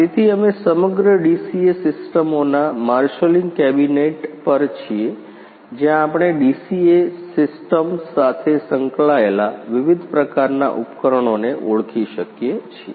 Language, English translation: Gujarati, So, we are at marshalling cabinet of whole DCA systems, where we can identify the different type of instruments involved a with a DCA systems